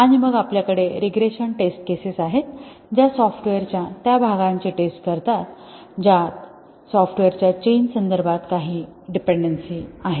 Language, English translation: Marathi, And then we have the regression test cases which test those parts of the software which have some dependency with respect to the changes software